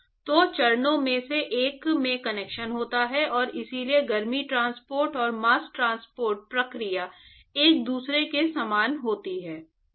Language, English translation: Hindi, So, there is convection in one of the phases and so, the heat transporter and mass transport process is a very similar to each other and